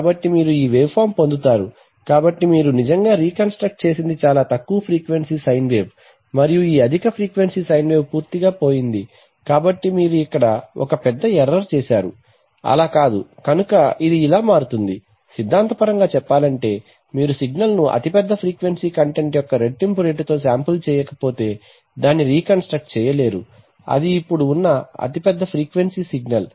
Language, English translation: Telugu, So you will get this wave, so you see that, what you actually reconstructed is a much lower frequency sine wave and this high frequency sine wave is completely lost, so you made a major error here, it is not, so it turns out that, theoretically speaking you cannot reconstruct a signal unless you sample it at twice the rate of the largest frequency content, that is largest frequency signal that is present